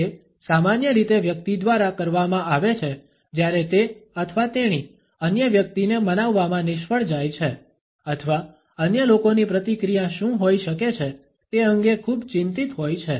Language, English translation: Gujarati, It is usually done by a person when he or she fails to convince the other person or is too anxious about what is likely to be the reaction of the other people